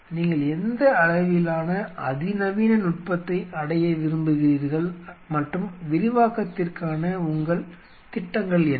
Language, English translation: Tamil, What level of sophistication you want to achieve and what are the, what are your plans for expansion